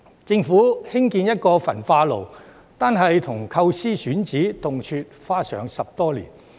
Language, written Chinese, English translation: Cantonese, 政府興建一個焚化爐，單是構思及選址，動輒花上10多年。, For the construction of an incinerator it easily takes the Government more than 10 years to conceive the project and identify a site